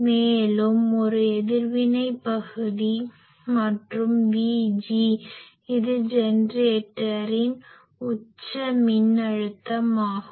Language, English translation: Tamil, And a reactive part and also V G it is the peak generator voltage, peak voltage of the generator is this